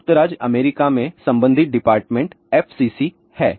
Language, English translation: Hindi, In USA the corresponding body is FCC